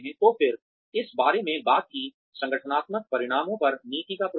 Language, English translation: Hindi, So again, this talked about, the influence of policy on organizational outcomes